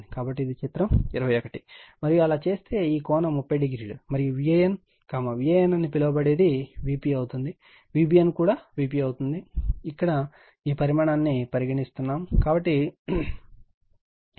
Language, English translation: Telugu, So, this is figure 20 one and if you do so, if you do so, this angle is 30 degree right and your V an, your what you call V an is nothing, but your V p V bn also V p we solved that here what we call all these magnitude